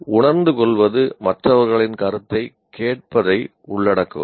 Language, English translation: Tamil, So, perceiving includes listening to others point of view